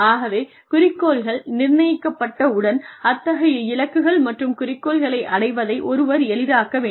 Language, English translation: Tamil, So, once the objectives have been set, then one needs to facilitate the achievement of those goals and objectives